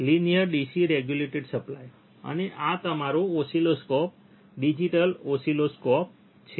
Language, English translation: Gujarati, Linear DC regulator supply, and this is your oscilloscope, digital oscilloscope